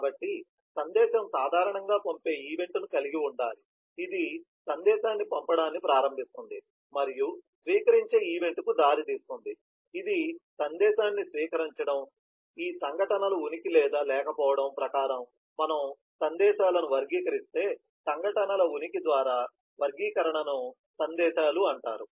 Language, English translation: Telugu, so a message usually will need to have a send event, which initiates sending of the message and will lead to have a receive event, which is the receiving of the message, so if we classify messages according to the presence of absence of these events, then the classification is called the messages by presence of events